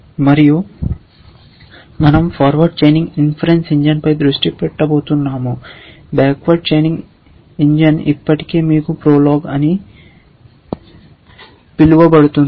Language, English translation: Telugu, And we are going to focus on the forward chaining inference engine, a backward chaining engine is already you are familiar with something called prolog